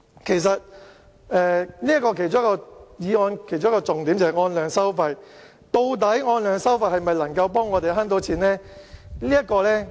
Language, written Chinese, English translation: Cantonese, 其實，議案的其中一個重點是按量收費，究竟按量收費能否為我們節省開支呢？, Actually one of the main points of the motion is quantity - based charging . Can our expenses be saved by adopting the quantity - based charging approach?